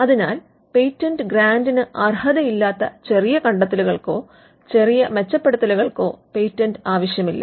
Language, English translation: Malayalam, So, small improvements or small changes, which do not merit a patent grant need not be patented